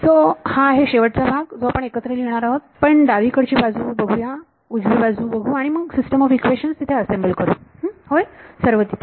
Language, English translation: Marathi, So, that is this last part which is putting it all together we will look at left hand side we will look at right hand side and assemble a system of equations all there yeah all the